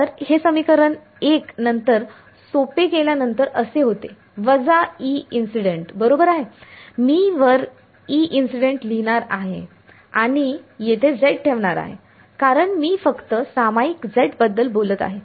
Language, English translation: Marathi, So, this equation 1 then get simplified in to this is equal to minus E incident right I am going to write E incident on top and put a z over here because I am only talking about the z common